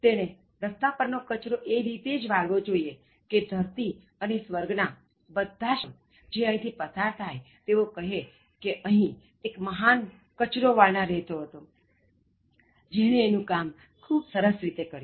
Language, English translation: Gujarati, “He should sweep streets so well that all the hosts of heaven and earth will pass to say, here lived a great street sweeper who did his job well